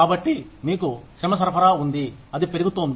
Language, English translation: Telugu, So, you have the supply of labor, that is going up